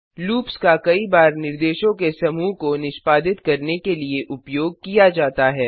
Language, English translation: Hindi, Loops are used to execute a group of instructions repeatedly